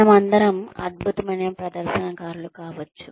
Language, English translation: Telugu, All of us may be excellent performers